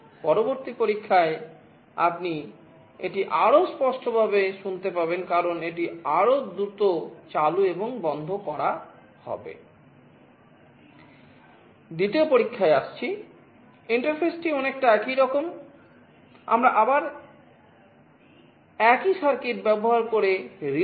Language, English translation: Bengali, In the next experiment, you can hear it much more clearly because, will be switching ON and OFF much faster